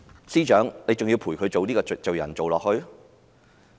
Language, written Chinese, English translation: Cantonese, 司長，你還要陪伴她做罪人嗎？, Chief Secretary are you still going to be a companion to her sins?